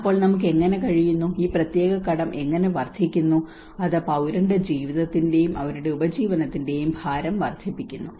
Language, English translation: Malayalam, So how we are able to, how this particular debt is increasing, and it is adding to the burden of the citizen's lives and their livelihoods